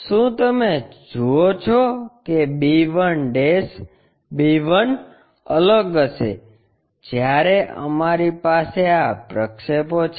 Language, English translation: Gujarati, You see b1' b1 will be different, when we have these projections